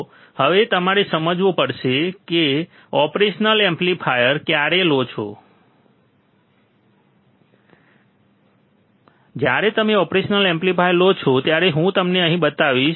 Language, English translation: Gujarati, So now you have to understand when you take operational amplifier, when you take an operational amplifier, I will show it to you here